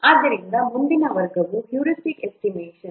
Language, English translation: Kannada, So next category category is heuristic estimation